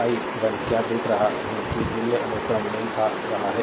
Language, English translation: Hindi, What I am see that power value sequence is matching